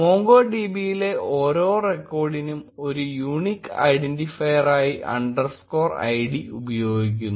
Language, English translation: Malayalam, Underscore id is used as a unique identifier for every record in MongoDB